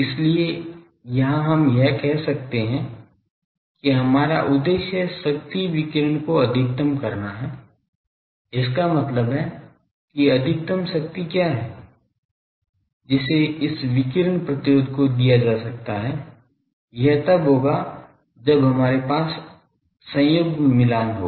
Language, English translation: Hindi, So, here we can say that our objective is to maximize the power radiated so; that means, what is the maximum power, that can be delivered to this radiation resistance, that will happen when we have conjugate matching